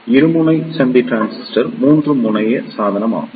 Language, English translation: Tamil, So, a Bipolar Junction Transistor is a 3 terminal device